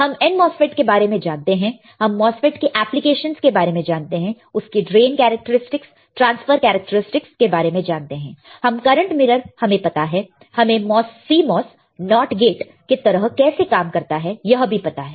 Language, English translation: Hindi, We know and n MOSFET we knows the application of MOSFETs right, it is drain characteristics we know the transfer characteristics, we know the current mirror, we know how CMOS works at least as a not gate right